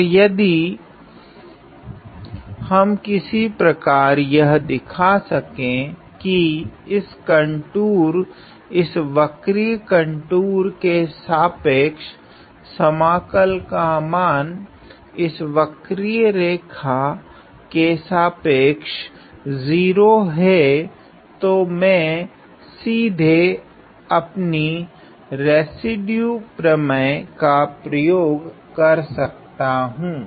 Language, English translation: Hindi, And if we if we can somehow show that the value of the integral over this contour over this curved contour, over this curved line is 0 then I can straight away use my residue theorem